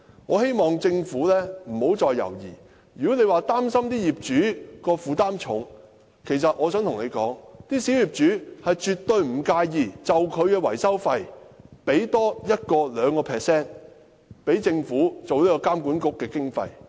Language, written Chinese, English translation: Cantonese, 我希望政府不要再猶豫，如果政府擔心業主會負擔沉重，那我想告訴政府，小業主絕不介意多付 1% 或 2% 的維修費，供政府作為監管局的經費。, I hope the Government can stop hesitating . If the Government feel concerned that a heavy burden will be brought to bear upon property owners then I wish to tell the Government that small property owners absolutely do not mind paying an additional sum amounting to 1 % or 2 % of their maintenance fees to the Government as BMWAs operational funding